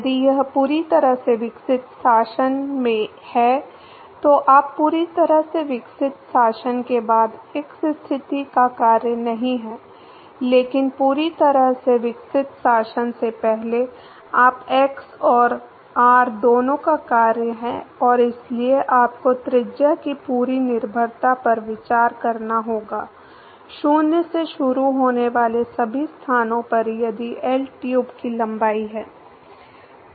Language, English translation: Hindi, If it is in a fully developed regime then u is not a function of x position after the fully developed regime, but before the fully developed regime u is the function of both x and r and therefore, you have to consider the whole dependence of radius at all locations starting from 0 to if L is the length of the tube